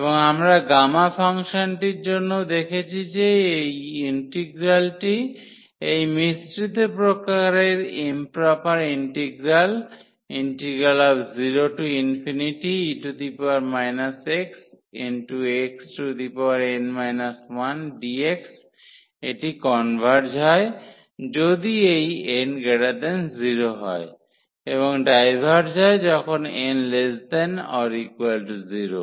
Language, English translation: Bengali, And, we have also seen for the gamma function that this integral, this mixed type of improper integral 0 to infinity e power minus x x power n minus 1 dx, it converges if this n is strictly greater than 0 and divergence when n is less than or equal to 0